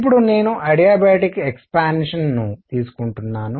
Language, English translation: Telugu, Now I am taking an adiabatic expansion